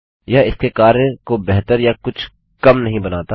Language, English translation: Hindi, It doesnt make it work any better or any less